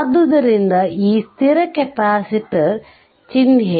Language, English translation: Kannada, So, this is the fixed capacitor symbol